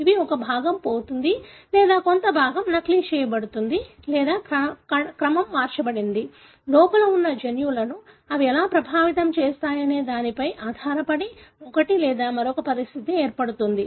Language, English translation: Telugu, These are like, a part of it is being lost or a part of it being duplicated or the order is changed; depending on how they affect the genes that are present within can result in one or the other condition